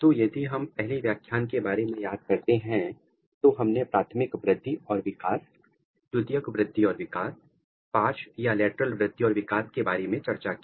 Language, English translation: Hindi, So, if we recall in the first lecture what we have discussed, we discussed the primary growth, primary growth and development, secondary growth and development, lateral growth and development